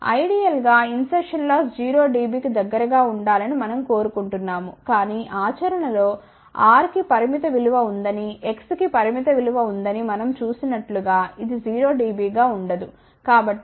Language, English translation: Telugu, Ideally, we want insertion loss to be close to 0 dB ok, but in practice it will never be 0 dB as we had seen that R has a finite value X has a finite value